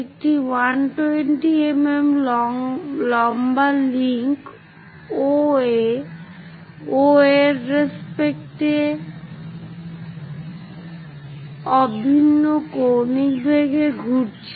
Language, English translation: Bengali, A 120 mm long link OA rotates about O at uniform angular velocity